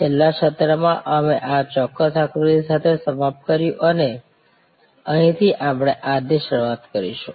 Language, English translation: Gujarati, In the last session, we ended with this particular diagram and this is where we will start today